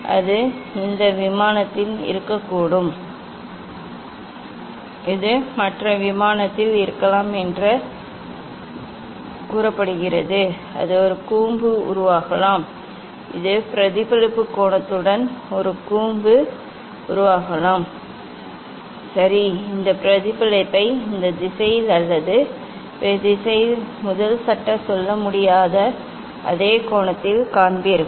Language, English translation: Tamil, this one it can be on this plane, this can be on other plane all this ray can be on other plane also it may form a cone; it may form a cone with the same angle of reflection ok you will see this reflection either in this direction or in this direction with the same angle this first law cannot tell